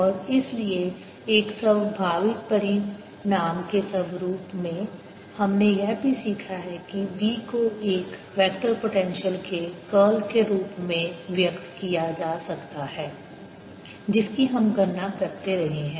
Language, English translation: Hindi, and therefore, as a corollary, we've also learnt that b can be expressed as curl of a vector potential, which we kept calculating